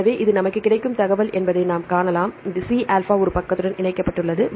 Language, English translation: Tamil, So, we can see this is the information we will get, but C alpha is connected one side with the